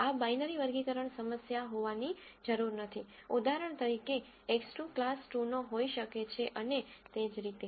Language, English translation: Gujarati, This need not be a binary classification problem; for example, X 2 could belong to class 2 and so on